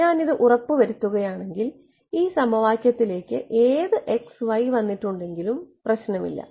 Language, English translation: Malayalam, If I ensure this then no matter what x and y are plug into this equation